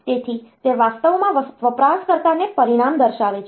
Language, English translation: Gujarati, So, it is actually showing the result to the user